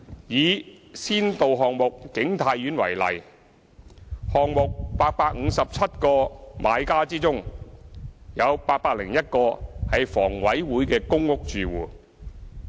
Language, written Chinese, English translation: Cantonese, 以先導項目景泰苑為例，項目857個買家之中，有801個為房委會的公屋住戶。, Take the pilot project of King Tai Court as an example out of the 857 buyers 801 are PRH tenants of HA